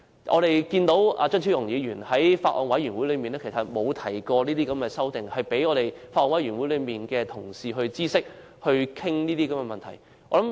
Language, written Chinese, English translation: Cantonese, 我們看到張超雄議員並無在法案委員會提出這項修正案，讓法案委員會的同事知悉和討論這些問題。, We did not see Dr Fernando CHEUNG propose this amendment in the Bills Committee so that Honourable colleagues in the Bills Committee could take note of and discuss this issue